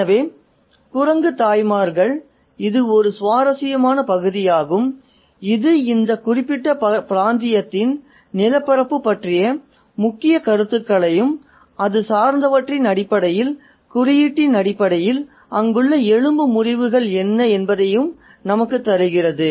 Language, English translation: Tamil, So, the monkey mothers, it's a very interesting passage that gives us a set of notions about the landscape of this particular region and what are the fractures there in terms of the symbolism, in terms of the major concerns